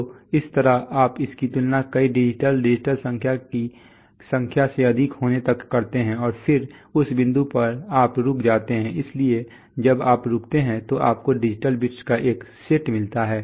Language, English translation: Hindi, So that is how you just compare it with a number of digital, number of digital number till it exceeds and at that point you stop, so you get so when you stop you get a set of digital bits